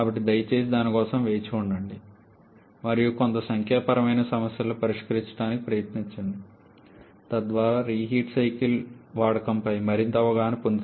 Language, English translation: Telugu, So, please wait for that and try to solve a few numerical problems so that you gain more exposure on the use of the reheat cycle